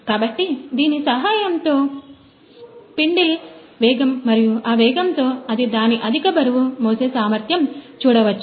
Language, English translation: Telugu, So, with the help of this spindle speed and the rate at which speed and its high weight carrying capacity